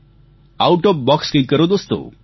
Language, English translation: Gujarati, Do something out of the box, my Friends